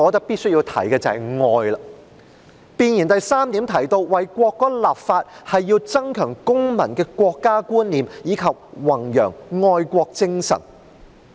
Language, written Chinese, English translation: Cantonese, 弁言的第3點提到，為國歌立法是要增強公民的國家觀念，以及弘揚愛國精神。, In paragraph 3 of the Preamble it is mentioned that legislation is enacted on the national anthem to enhance citizen awareness of the Peoples Republic of China and to promote patriotism